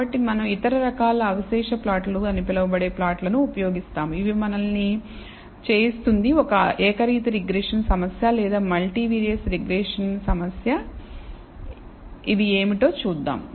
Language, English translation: Telugu, So, we will use other kinds of plots called residual plots, which will enable us to do this whether it is a univariate regression problem or a multivariate regression problem, we will see what these are